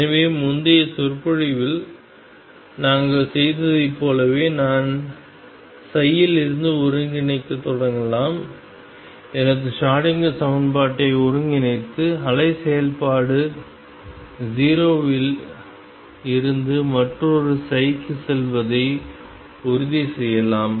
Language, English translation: Tamil, So, just like we did in the previous lecture I can start integrating form this psi, integrate my Schrodinger equation and make sure that the wave function goes t 0 to the other psi